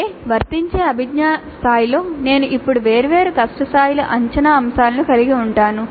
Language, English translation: Telugu, That means at the applied cognitive level itself I can have assessment items of different difficulty levels